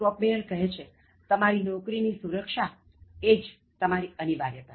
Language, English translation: Gujarati, Kopmeyer says: Your only job security is your indispensability